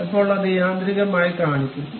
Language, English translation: Malayalam, Then it will automatically show